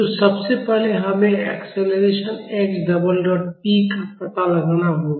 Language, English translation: Hindi, So, first we have to find out the acceleration, x double dot p